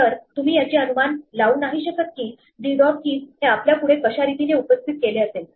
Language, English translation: Marathi, So, you cannot predict anything about how d dot keys will be presented to us